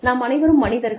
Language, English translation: Tamil, We are all human beings